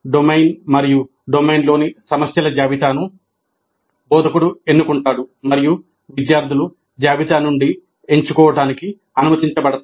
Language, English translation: Telugu, The domain as well as a list of problems in the domain are selected by the instructor and students are allowed to choose from the list